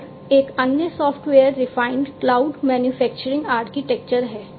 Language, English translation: Hindi, And another one is the software defined cloud manufacturing architecture